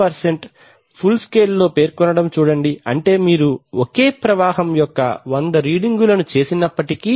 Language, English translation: Telugu, 2% of full scale that means even if you make 100 readings of the same flow